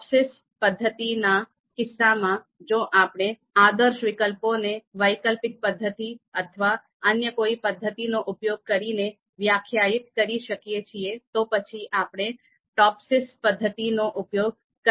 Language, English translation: Gujarati, Similarly for the TOPSIS method, if ideal and anti ideal options if they can be defined using elicitation or any other method, then of course we can go for TOPSIS